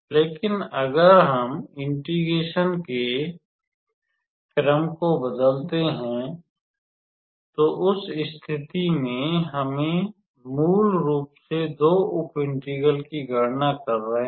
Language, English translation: Hindi, But if we change the order of integration, then in that case we are basically calculating two sub integrals